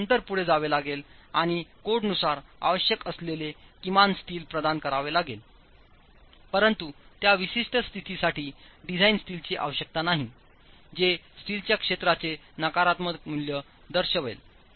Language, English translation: Marathi, You just have to then go ahead and provide minimum steel that is required as per the code, but there is no design steel required for that particular condition